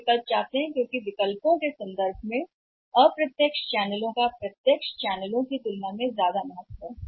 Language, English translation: Hindi, And they want to have choices so because of the say requirement of the choices the indirect channels have much more value rather than the direct channels